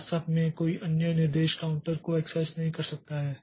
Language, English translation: Hindi, Actually, no other instruction can access the counter